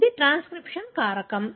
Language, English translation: Telugu, This is a transcription factor